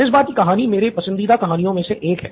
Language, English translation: Hindi, This time it’s one of my favourite stories